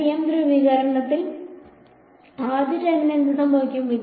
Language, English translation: Malayalam, TM polarizations what happens for the first term